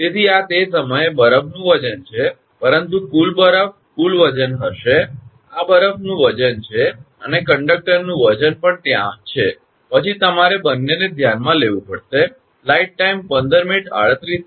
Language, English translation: Gujarati, So, this is the weight of the ice then, but total ice, the total weight will be, this is the weight of the ice and weight of the conductor is also there, then you have to consider both